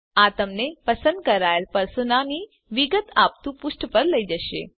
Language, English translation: Gujarati, This will take you to a page which gives details of the chosen Persona